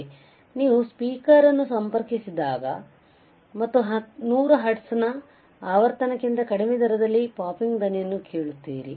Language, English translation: Kannada, So, when you connect a speaker and you will hear a popping sound at rate below 100 hertz below frequency of 100 hertz